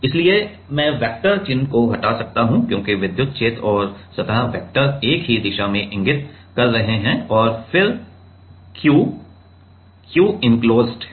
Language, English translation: Hindi, So, I can remove the vector sign because electric field and the surface vectors are pointing in the same direction and then Q is equal to Q enclosed